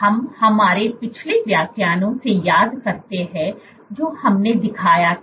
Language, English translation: Hindi, So, you remember from our previous lectures that we showed that